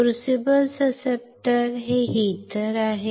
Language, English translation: Marathi, Crucible susceptor, this one is heater